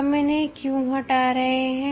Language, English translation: Hindi, Why we remove it